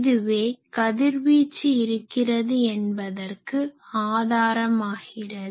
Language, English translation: Tamil, So, this is the proof that it is getting radiated